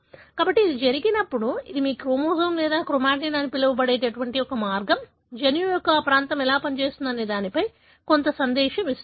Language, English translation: Telugu, So, when that happens, this is one way your chromosome or chromatin what you call gets some message as to how that region of the genome should function